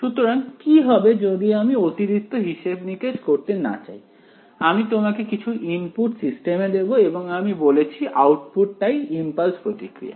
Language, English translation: Bengali, So, what will be the, if I do not want to do any additional calculations, I just want to give some input to the systems I said my output is itself the impulse response